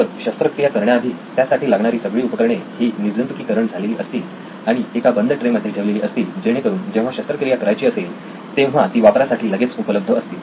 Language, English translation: Marathi, So before the surgery is performed all of this, the instruments needed are all sterilized and kept on a sealed tray so that it’s ready when the surgery has to be performed in the state that the surgeon wants it to be